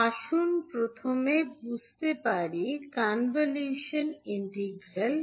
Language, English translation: Bengali, So let us start, first understand, what is the convolution integral